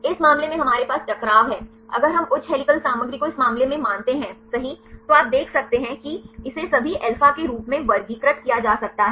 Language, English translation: Hindi, In this case we have the conflict if we consider the high helical content right in this case you can see this can be classified as all alpha